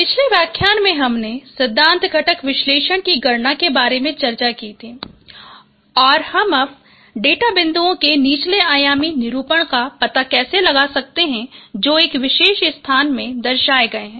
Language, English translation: Hindi, In the previous lecture, we discussed about the computation of principal component analysis and how we can find out the lower dimensional representations of data points which are represented in a particular space